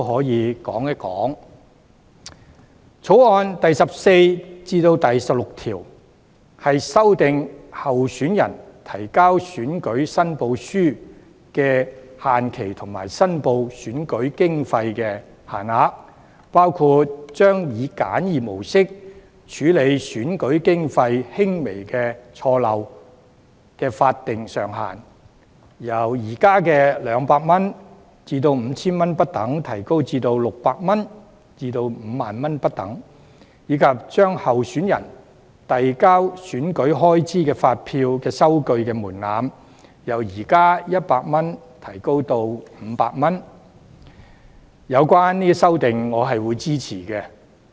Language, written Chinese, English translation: Cantonese, 另一方面，《條例草案》第14至16條修訂候選人提交選舉申報書的限期及申報選舉經費的限額，包括把以簡易模式處理選舉經費輕微錯漏的法定上限，由現時的200元至 5,000 元不等，提高至600元至 50,000 元不等，以及把候選人遞交選舉開支發票和收據的門檻，由現時的100元提高至500元，我會支持有關的修訂。, In the meanwhile clauses 14 to 16 of the Bill amend the deadline for candidates to lodge election returns and the limits for reporting election expenses including raising the statutory upper limits prescribed for rectifying minor errors or omissions in election expenses under the de minimis arrangement from 200 to 5,000 at present to 600 to 50 000 as well as raising the threshold for candidates to submit invoices and receipts of election expenses from 100 presently to 500 . I will support the relevant amendments